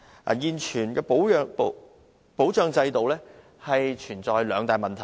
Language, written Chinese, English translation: Cantonese, 代理主席，現行保障制度存在兩大問題。, Deputy President the existing protection system is plagued by two major problems